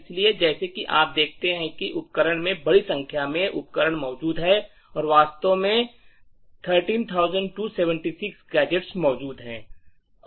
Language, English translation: Hindi, So, as you see the tool has found a large number of gadgets present in the executable tutorial 2 and in fact there are like 13,276 gadgets that are present